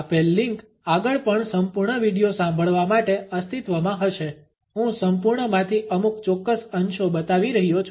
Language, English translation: Gujarati, The given link can also be further exist in order to listen to the complete video I am showing only certain excerpts from the complete one